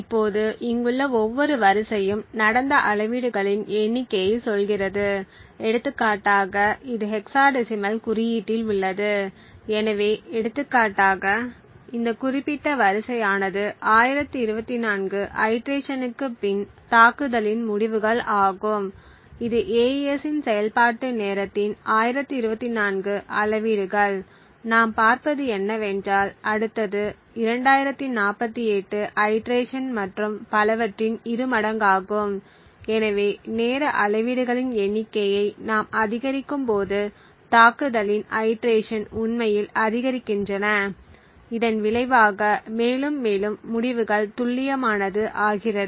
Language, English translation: Tamil, Now each row over here tells the number of measurements that have taken place, so for example this is in hexadecimal notation, so for example this particular row are the results of the attack after 1024 iteration that is 1024 measurements of the execution time of the AES and what we see is that the next one is double that amount which is around 2048 iterations and so on, so as we increase the number of timing measurements that is the iterations in the attack actually increase, we see that the result become more and more accurate